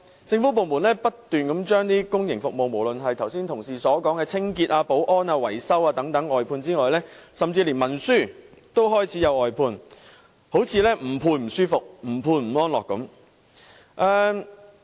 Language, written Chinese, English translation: Cantonese, 政府部門不斷將公營服務外判，除了剛才同事所說的清潔、保安、維修等服務外，甚至連文書工作也開始外判，好像不外判便不舒服，不外判便不安樂般。, The government departments keep contracting out public services . Apart from cleaning security and maintenance services as mentioned by Honourable colleagues just now even clerical work has started to be outsourced as though the Government will feel uncomfortable and uneasy if it does not do any outsourcing